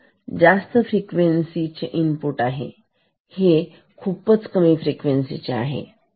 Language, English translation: Marathi, So, this is high frequency input and this is the output, which is of much lower frequency